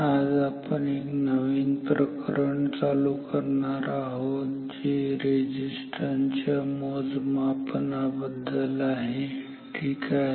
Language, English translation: Marathi, So, today we are going to start a new chapter 3 which is on a measurement of resistances ok